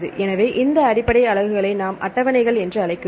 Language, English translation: Tamil, So, this basic units called tables right